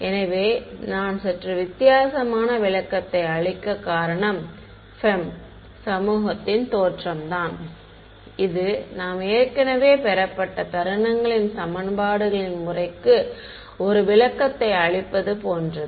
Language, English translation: Tamil, So, the reason I am giving a slightly different interpretation is because the FEM community it looks; it is like giving a interpretation to the method of moments equations which we had already derived